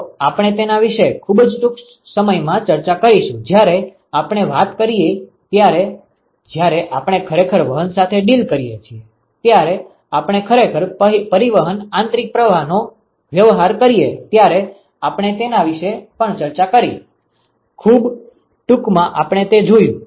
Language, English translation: Gujarati, So, we discussed about it very briefly when we talked when we actually dealt with conduction, we also discussed about it when we actually dealt with convection internal flows, very briefly we did that